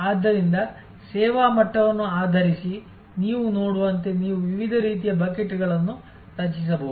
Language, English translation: Kannada, So, these are as you see based on service level you can create different kinds of buckets